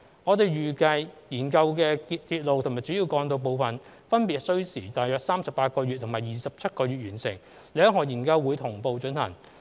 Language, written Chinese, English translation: Cantonese, 我們預計研究的鐵路及主要幹道部分，分別需時約38個月及27個月完成，兩項研究會同步進行。, We anticipate that the study on railways and the study on major roads will take approximately 38 months and 27 months to complete respectively . The two studies will be carried out concurrently